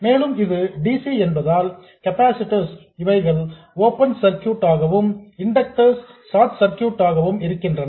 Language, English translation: Tamil, And also because it is DC, capacitors are open circuited and inductors are short circuited